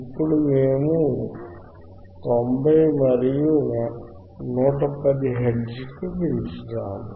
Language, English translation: Telugu, So now, we increase it from, 50 to 70 hertz